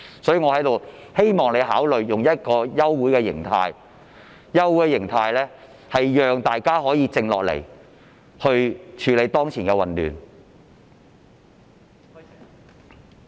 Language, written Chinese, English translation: Cantonese, 所以，我希望你考慮以休會形式，讓大家可以靜下來處理當前的混亂。, Therefore I hope that you will consider adjourning the meeting so as to allow us to calm down and handle the current chaotic situation